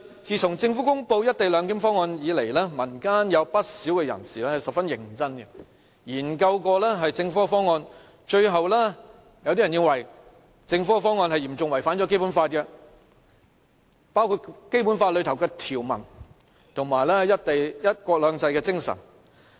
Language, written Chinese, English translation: Cantonese, 自從政府公布"一地兩檢"方案以來，民間有不少人士十分認真的研究政府的方案，有些人最後認為政府的方案嚴重違反《基本法》，包括《基本法》的條文及"一國兩制"的精神。, Right after the Governments release of the co - location proposal many members of the community have seriously studied the proposal . Some of them have concluded that the Governments proposal substantially violates the Basic Law for it breaches both the provisions and the spirit of one country two systems under the Basic Law